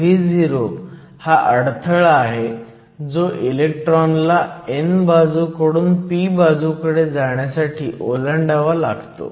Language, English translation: Marathi, So, once again Vo represents the barrier that the electrons have to overcome in order to go from the n to the p side